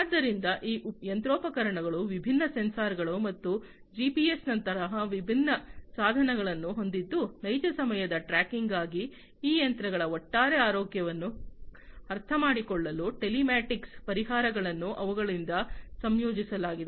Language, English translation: Kannada, So, these machinery are equipped with different sensors and different other devices like GPS etcetera for real time tracking, for understanding the overall health of these machines, telematic solutions are deployed by them